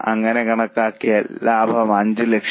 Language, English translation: Malayalam, So, estimated profit is 5 lakhs